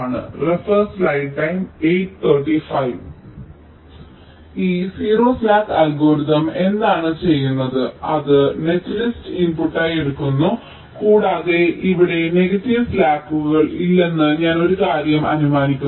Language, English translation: Malayalam, this zero slack algorithm, what it does, it takes the net list as input and, as i had said, well, here i am assuming one thing: that there are no negative slacks